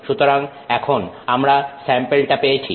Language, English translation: Bengali, So, now we have got this sample